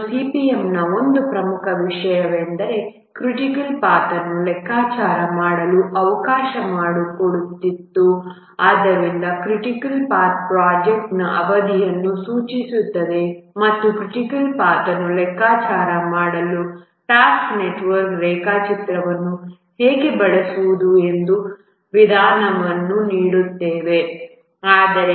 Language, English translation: Kannada, And one important thing of CPM that it allowed to compute the critical path and therefore the critical path indicates the project duration and it gave a method how to use the task network diagram to compute the critical path